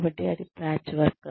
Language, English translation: Telugu, So, that is a patchwork